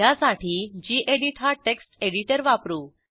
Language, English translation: Marathi, I will use gedit text editor for this purpose